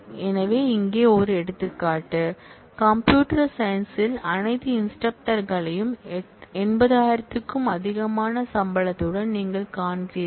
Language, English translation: Tamil, So, here is an example, where you are finding all instructors in computer science with salary greater than 80000